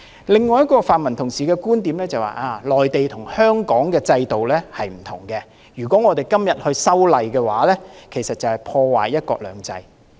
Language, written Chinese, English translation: Cantonese, 另一位泛民同事的觀點就是，內地跟香港的制度不同，如果我們今天修例，就是破壞"一國兩制"。, Another pan - democratic Member is of the view that since the system of the Mainland is different from that of Hong Kong if we amend the laws today one country two systems will be ruined